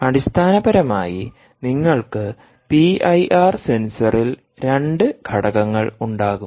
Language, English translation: Malayalam, essentially, you will basically have two elements in the p i r sensor and the elements